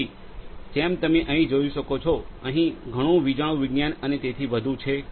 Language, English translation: Gujarati, So, as you can see over here there is lot of electronics and so on